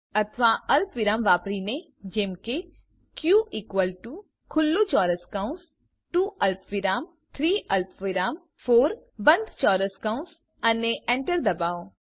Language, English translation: Gujarati, or using commas as q is equal to open square bracket two comma three comma four close the square bracket and press enter